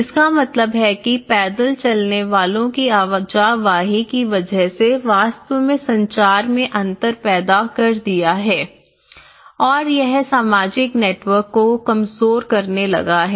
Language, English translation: Hindi, Which means the pedestrian movement have actually created certain communication gap and also it started weakening some social networks